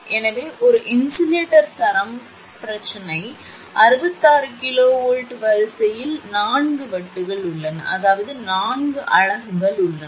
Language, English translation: Tamil, So, an insulator string the problem is 66 kV line has four discs; that means, four units are there